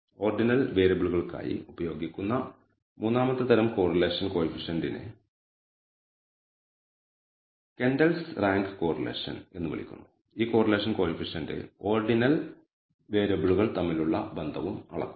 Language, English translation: Malayalam, So, third type of correlation coefficient that is used for ordinal variables is called the Kendall’s rank correlation and this correlation coefficient also measures the association between ordinal variable